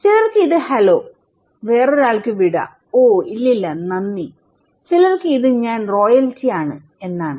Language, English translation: Malayalam, For someone is hello, for someone is goodbye, oh no, no, no thank you and for some people, I am royalty